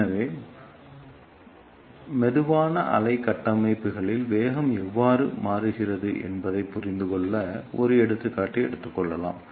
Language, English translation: Tamil, So, to understand how velocity changes in slow wave structures let us take an example